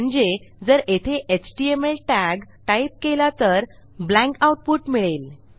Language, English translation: Marathi, So whatever you type in here as tag or as html tag, its just blank